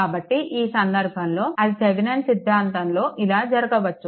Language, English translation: Telugu, So, in the in that case, it may happen that Thevenin theorem